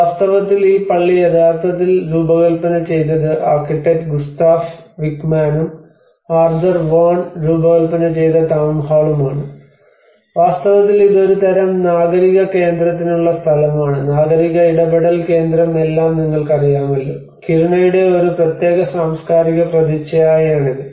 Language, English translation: Malayalam, So now, in fact, this church was actually designed by architect Gustaf Wickman, and also the Town Hall where Arthur Von have designed this, and in fact this is a place for a kind of civic centre you know the civic engagement centre is all, this is one of the image the cultural image of this particular Kiruna